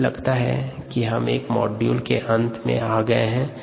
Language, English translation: Hindi, i think we have come to the end of a module two